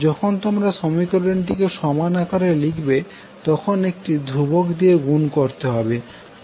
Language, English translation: Bengali, So when you converted into equality, let us multiply with some constant k